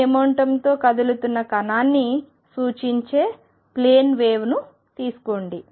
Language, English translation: Telugu, Take the plane waves which represent a particle moving with momentum p